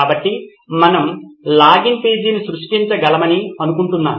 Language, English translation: Telugu, So I think we can create a login page